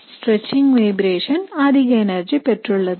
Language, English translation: Tamil, So the stretching vibrations have a higher energy